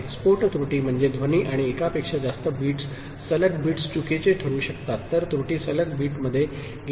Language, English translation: Marathi, Bust error means because the noise and all more than one bits, consecutive bits have got have become wrong ok, error has got into consecutive bits